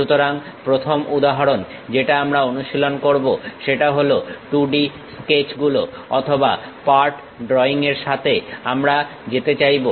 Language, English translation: Bengali, So, first example what we are practicing is 2D sketches or part drawing we would like to go with